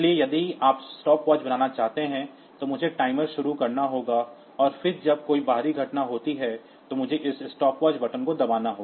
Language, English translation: Hindi, So, if you want to make a stopwatch, then I have to start the timer, and then this I have 2 when some external event occurs, I have to I press this stopwatch button